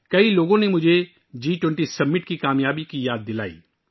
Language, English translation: Urdu, Many people reminded me of the success of the G20 Summit